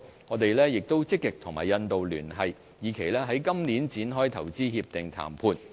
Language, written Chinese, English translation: Cantonese, 我們亦積極與印度聯繫，以期在今年展開投資協定談判。, Since then we have been actively liaising with India striving to kick start the IPPA negotiation within this year